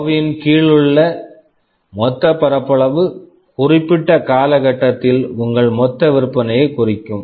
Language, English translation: Tamil, The total area under the curve will indicate your total sales over that period of time